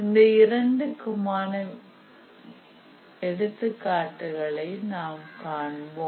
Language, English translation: Tamil, We will see examples of both as we proceed